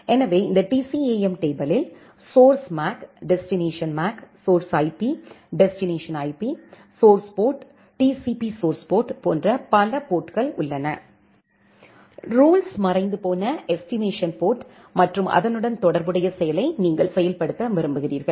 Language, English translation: Tamil, So, this TCAM table has multiple fields like source MAC, destination MAC, source IP, destination IP, source port, TCP source port, for destiny disappeared estimation port and the corresponding action that, you want to execute